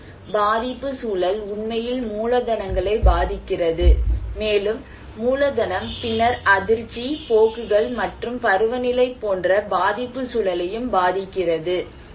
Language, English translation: Tamil, And so vulnerability context actually influencing the capitals, and capital then also influencing the vulnerability context which are shock, trends and seasonality